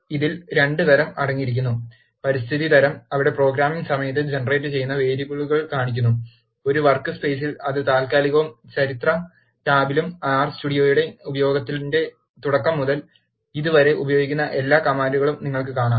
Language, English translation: Malayalam, It contains 2 types: the Environment type, where, it shows the variables that are generated during the course of programming, in a workspace, which is temporary and in the History tab, you will see all the commands that are used till now from the beginning of usage of R Studio